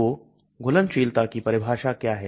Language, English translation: Hindi, So what is the definition of solubility